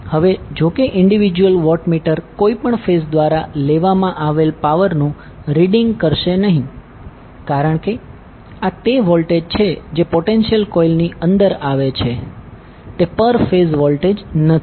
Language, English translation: Gujarati, Now, although the individual watt meters no longer read power taken by any particular phase because these are the voltage which is coming across the potential coil is not the per phase voltage